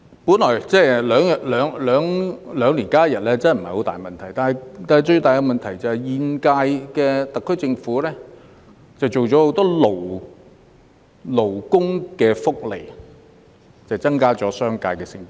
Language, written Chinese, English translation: Cantonese, 每兩年增加一天假期本來不是大問題，但最大問題是現屆政府增設了許多勞工福利，加重商界成本。, Originally it is not a big deal to increase one additional day of holiday every two years . The biggest problem is that the current - term Government has introduced too many labour benefits which add cost pressure to the business sector